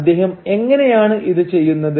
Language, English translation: Malayalam, And how does he do this